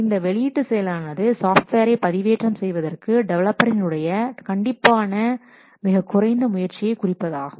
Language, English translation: Tamil, This release process should involve minimal effort as much as less effort on the part of the developer to upload a new release of a software